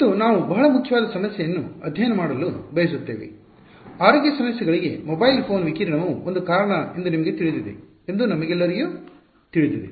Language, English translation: Kannada, And we are wanting to study a very important problem, all of us know that you know mobile phone radiation is a possible cause for concern health issues